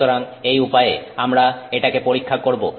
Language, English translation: Bengali, So, this is the way we test it